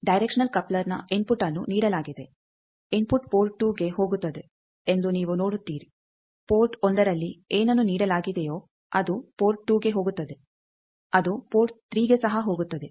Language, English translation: Kannada, Directional coupler input is given; you see that input goes to port 2; whatever is given at port 1 it goes to port 2 it also goes to port 3